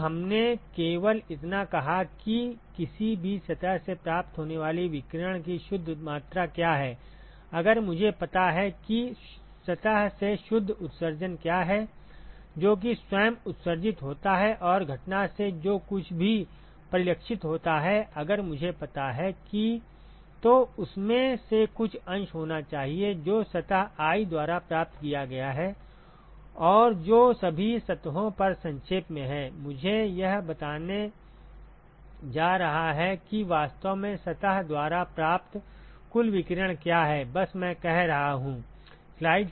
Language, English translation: Hindi, So, we only said that what is the net amount of irradiation that is received by any surface, if I know what is the net emission from a surface, that is what is emitted by itself plus whatever is reflected from the incident if I know that, then there has to be some fraction of that which received by surface i and that summed over all the surfaces is going to tell me what is the total radiation that is actually received by surface i, that is all i am saying right